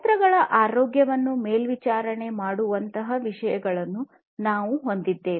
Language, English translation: Kannada, We have things like monitoring the health of the machines